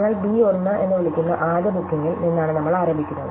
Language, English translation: Malayalam, So, we are begin with the first booking which you called b 1